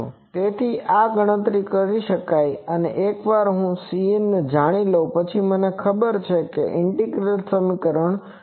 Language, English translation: Gujarati, So, this can be computed and once I know C n, I know the integral equation can be solved